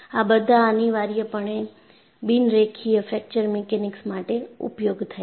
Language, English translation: Gujarati, These are essentially meant for non linear fracture mechanics